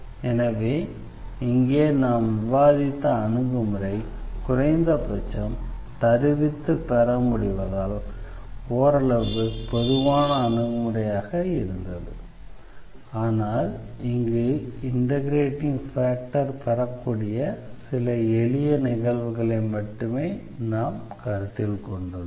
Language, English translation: Tamil, So, here again that approach which we have discussed which was rather general approach at least by the derivation, but we have considered only few simple cases where we can get this integrating factor y